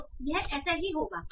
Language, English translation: Hindi, So something like this